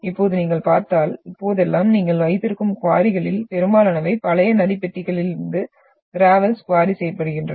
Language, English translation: Tamil, Now if you look at, nowadays that most of the quarry you are having is they are trying to quarry the gravels from the older river beds